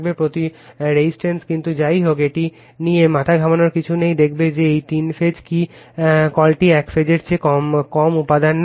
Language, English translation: Bengali, But, anyway nothing to bother about that, we will show that three phase what you call takes less material material than the your single phase